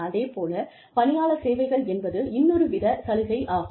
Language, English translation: Tamil, And, employee services is another type of benefit